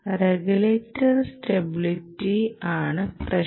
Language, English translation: Malayalam, regulator stability is an important requirement